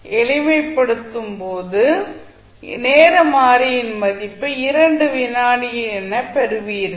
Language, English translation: Tamil, When you simplify you get the value of time constant that is 2 second